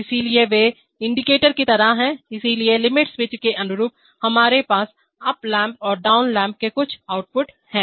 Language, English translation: Hindi, So they are like indicators, so corresponding to the limit switches, we are having some outputs up lamp and down lamp